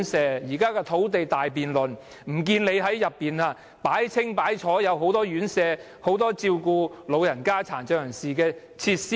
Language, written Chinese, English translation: Cantonese, 在現時的土地大辯論，不見你說要興建很多院舍，設置很多照顧老人家或殘障人士的設施？, In the current land policy debate how come I have not heard you suggest building many residential care homes and installing plenty of facilities for the aged or the handicapped?